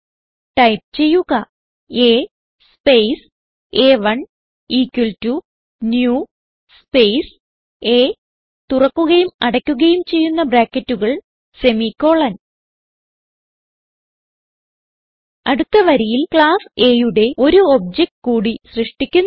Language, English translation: Malayalam, So type A space a1 equal to new space A opening and closing brackets semicolon Next line we will create one more object of class A